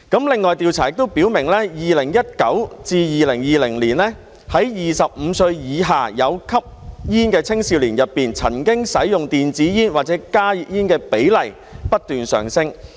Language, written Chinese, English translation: Cantonese, 另外，調查亦顯示，在2019年至2020年 ，25 歲以下有吸煙的青少年當中，曾經使用電子煙或加熱煙的比例不斷上升。, Moreover the survey revealed that from 2019 to 2020 the proportion of young smokers under the age of 25 who had consumed e - cigarettes or HTPs kept increasing